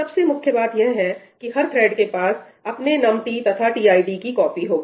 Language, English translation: Hindi, The important part is that each thread will have it is own copy of num t and tid